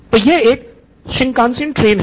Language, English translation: Hindi, Come on it is a Shinkansen train